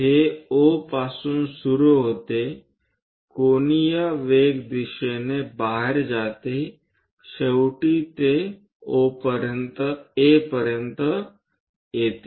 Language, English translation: Marathi, It begins at O goes in angular velocity direction radially out finally, it comes to A